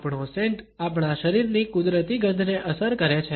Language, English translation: Gujarati, Our scent is influenced by our natural body odor